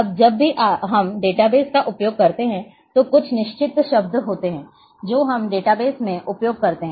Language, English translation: Hindi, Now, whenever we use the database there are certain terms which we use in database